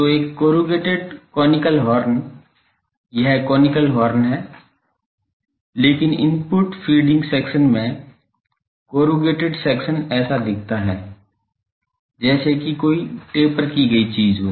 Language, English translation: Hindi, So, a corrugated conical horn this is conical, but corrugated section looks like these in the input feeding section there is a tapered thing